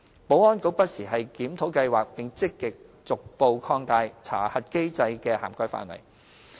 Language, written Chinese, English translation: Cantonese, 保安局不時檢討計劃，並積極逐步擴大查核機制的涵蓋範圍。, The Security Bureau has from time to time reviewed the SCRC Scheme and taken active measures to gradually extend its coverage